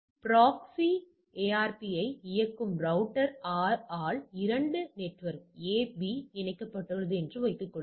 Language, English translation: Tamil, Assume that there are two network A B connected by a router R that runs a proxy ARP